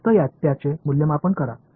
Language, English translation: Marathi, Just evaluate it